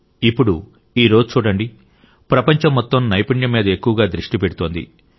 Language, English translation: Telugu, And now see, today, the whole world is emphasizing the most on skill